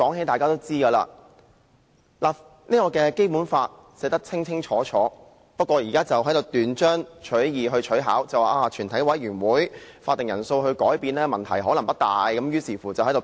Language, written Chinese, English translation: Cantonese, 大家也知道《基本法》已有明確規定，而他們現在只是斷章取義，取巧地表示改變全體委員會的法定人數可能問題不大，繼而展開辯論。, As Members are aware the quorum is already stipulated clearly in the Basic Law . However they are now interpreting the quorum out of context in a slyly manner arguing that there is no big problem with changing the quorum of the committee of the whole Council